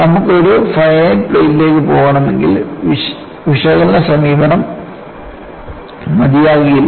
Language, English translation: Malayalam, If you want to go for a finite plate, analytical approach will not do